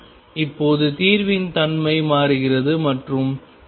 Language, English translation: Tamil, Now the nature of the solution changes and at the boundary x equals L by 2